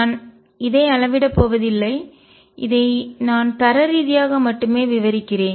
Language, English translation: Tamil, I am not going to go quantitative on this I will describe this only qualitatively